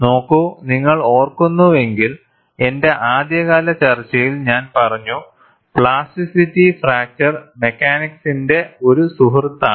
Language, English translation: Malayalam, See, if you recall, in my early discussion, I have said, plasticity is a friend of fracture mechanics